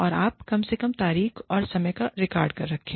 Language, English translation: Hindi, And, you at least, keep the record, of the date and time